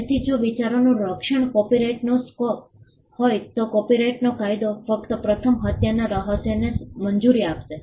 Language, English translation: Gujarati, So, if protection of ideas was the scope of copyright then copyright law would only be allowing the first murder mystery